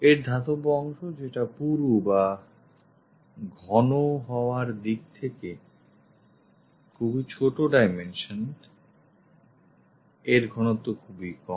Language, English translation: Bengali, The metallic part having very small dimensions in terms of thickness, this is the thickness very small